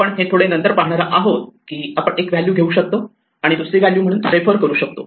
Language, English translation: Marathi, We will see a little later that we can take one value and refer to another value